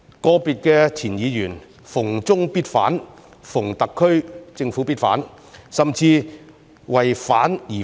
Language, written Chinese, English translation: Cantonese, 個別前議員"逢中必反"，"逢特區政府必反"，甚至"為反而反"。, Some former Members opposed everything from China or everything from the SAR Government